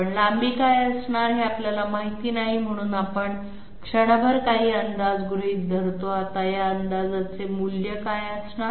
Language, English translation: Marathi, But we do not know what is going to be the length, so we assume some guess for the moment, now what is going to be this guess value